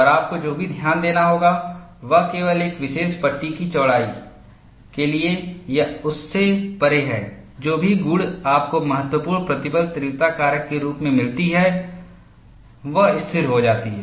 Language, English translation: Hindi, And what you will also have to notice is, only for a particular panel width or beyond that, whatever the property you find out as critical stress intensity factor, it stabilizes